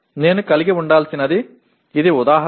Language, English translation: Telugu, I must have, this is the example